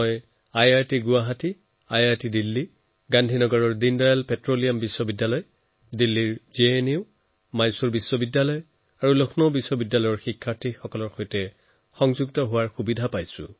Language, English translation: Assamese, Through technology I was able to connect with students of IIT Guwahati, IITDelhi, Deendayal Petroleum University of Gandhinagar, JNU of Delhi, Mysore University and Lucknow University